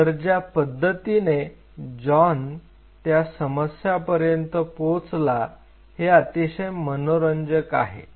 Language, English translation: Marathi, So, the way John approached the problem was very interesting